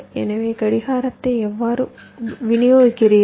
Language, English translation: Tamil, so how do you distribute the clock